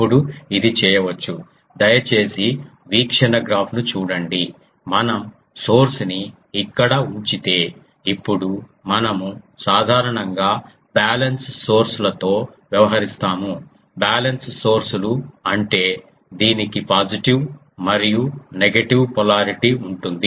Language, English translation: Telugu, Now, this can be done please look at the view graph ah that if we put the source if we put the source here, now source generally we deal with balance sources; balance sources means it has a positive as well as a negative polarity